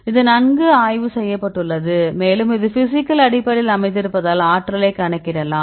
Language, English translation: Tamil, So, this is well studied and also this is based on physical basis because calculate the energy